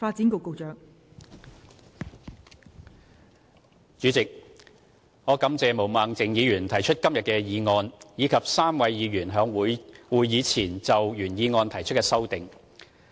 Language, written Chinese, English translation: Cantonese, 代理主席，我感謝毛孟靜議員提出今天的議案，以及3位議員在會議前就原議案提出的修正案。, Deputy President I thank Ms Claudia MO for moving the motion today and I also thank the other three Members who proposed amendments to the original motion before this meeting